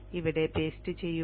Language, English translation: Malayalam, Paste it here